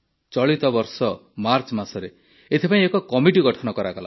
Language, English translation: Odia, This very year in March, a committee was formed for this